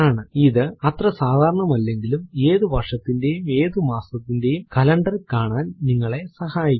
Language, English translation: Malayalam, Though not as common this helps you to see the calender of any month and any year